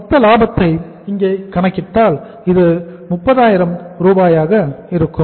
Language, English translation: Tamil, If you calculate the gross profit here this works out as 30,000